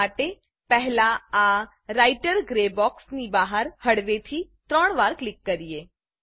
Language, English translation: Gujarati, For this, let us first click outside this Writer gray box three times slowly